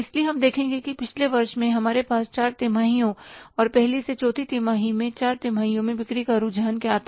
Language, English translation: Hindi, So we will see that in the previous year we had the four quarters and in the four quarters over the different quarter first to fourth